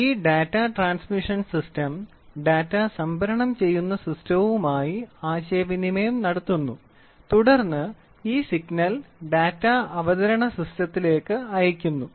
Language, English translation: Malayalam, This Data Transmission System communicates to the data storage and then this signal is further sent to Data Presentation System